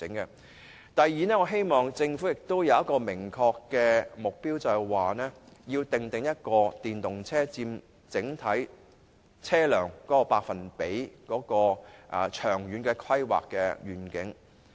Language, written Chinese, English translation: Cantonese, 此外，我希望政府訂定明確的目標，說明電動車在整體車輛中所佔的百分比是多少，以便設定長遠的規劃願景。, In addition I hope a clear objective will be set by the Government for the proportion of electric vehicles among the total number of registered vehicles in Hong Kong in order to set out a long - term planning vision in this regard